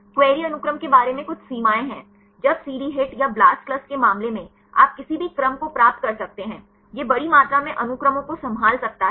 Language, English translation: Hindi, There is some limitations about the query sequence, when in the case of CD HIT or theBlastclust; you can get any number of sequences; it can handle huge amount of sequences